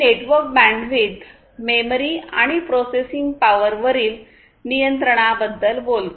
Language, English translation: Marathi, So, these talks about the control over the network bandwidth memory and processing power